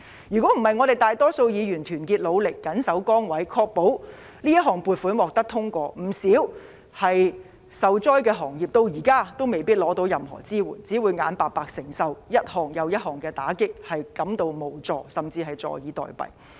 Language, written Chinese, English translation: Cantonese, 如果不是我們大多數議員團結努力，謹守崗位，確保這項撥款獲得通過，不少受災的行業至今也未必得到任何支援，只會眼白白承受一重又一重的打擊，感到無助，甚至坐以待斃。, If it was not for the hard work and commitment of the majority of Members to secure the passage of the funding proposal in unison many industries hard hit by the disaster might not have received any support to date . They would just sit here and get dealt with multiple blows feeling helpless and awaiting their doom